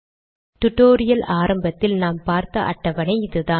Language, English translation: Tamil, So this was the table that we started with at the beginning of this tutorial